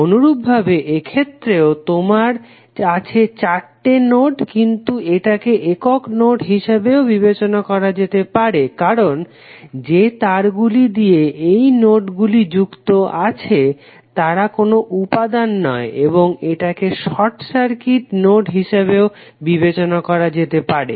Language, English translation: Bengali, Similarly for this also you have four nodes but it is consider as a single node because of the wires which are connecting this nodes are not having any elements and it can be consider as a short circuit node